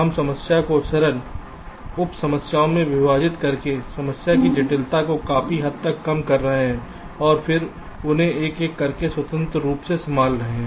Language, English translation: Hindi, we are reducing the complexity of the problem to a great extent by dividing or splitting the problem into simpler sub problems and then handling them just by one by one, independently